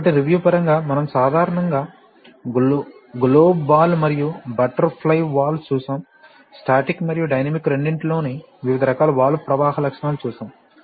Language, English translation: Telugu, So as a matter of review we have typically seen globe ball and butterfly valves, we have seen various kinds of valve flow characteristics both static and dynamic